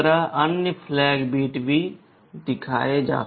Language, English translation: Hindi, The other flag bits are also shown